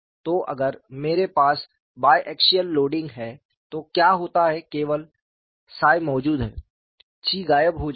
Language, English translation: Hindi, So, if I have bi axial loading what happens only psi exists, chi vanishes